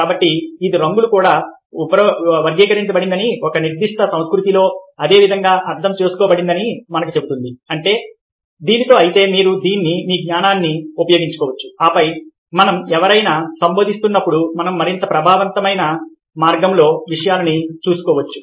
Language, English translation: Telugu, so this tells us that colours also classified, understood in similar ways within a specific culture and that means that if you can make use of this, if your knowledge, then when we are addressing somebody, the, we can take care of things in a more effective way